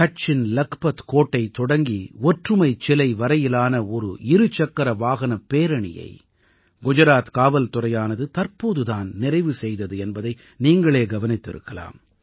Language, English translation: Tamil, You must have noticed that recently Gujarat Police took out a Bike rally from the Lakhpat Fort in Kutch to the Statue of Unity